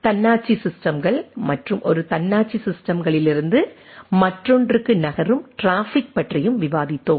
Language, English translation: Tamil, Also we have discussed about autonomous systems and traffic moving from one autonomous system to other